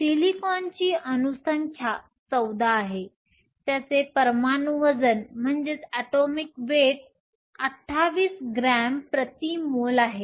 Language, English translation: Marathi, Silicon has an atomic number of 14; it has an atomic weight of 28 grams per mole